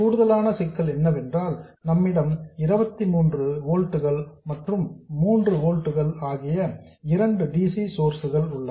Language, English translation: Tamil, And the additional problem is that we have 2 DC sources, 23 volts and 3 volts